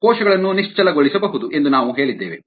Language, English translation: Kannada, we also said that cells could be immobilized